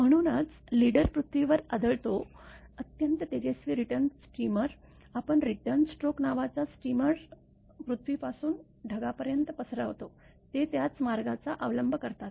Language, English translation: Marathi, So, as the leader strikes the earth; an extremely bright return steamer called returns stroke, propagates upward from the earth to the cloud following the same path as shown in figure c